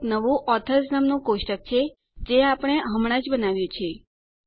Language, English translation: Gujarati, There is the new Authors table we just created